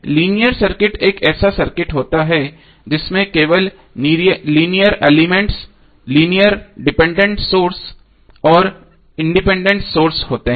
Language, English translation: Hindi, Linear circuit is the circuit which contains only linear elements linear depended sources and independent sources